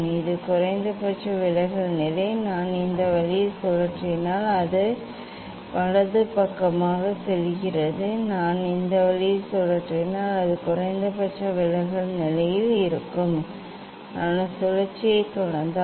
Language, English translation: Tamil, this is the minimum deviation position, if I rotate this way it is going right side, if I rotate this way then it is at minimum deviation position, if I continue the rotation